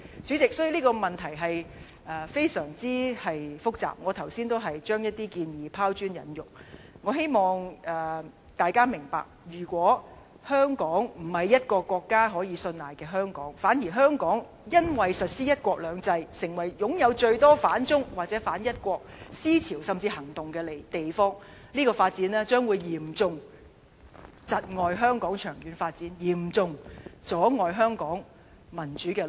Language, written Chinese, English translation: Cantonese, 主席，這個問題非常複雜，我剛才只是將一些建議拋磚引玉，希望大家明白，如果香港不是一個國家可以信賴的香港，反而香港因為實施"一國兩制"，成為擁有最多反中、或是反一國思潮甚至行動的地方，這樣將會嚴重窒礙香港長遠發展，嚴重阻礙香港民主之路。, President this is an intricate question . I am merely making certain suggestions to invite further viewpoints . If Hong Kong fails to win the trust of the nation but instead becomes a city accommodating most anti - China or anti - one country ideas and even corresponding actions as a result of the implementation of one country two systems I hope Members can understand that this will heavily impede Hong Kongs development in the long run and seriously hinder our path to democracy